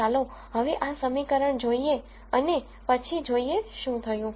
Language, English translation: Gujarati, Now let us look at this equation and then see what happens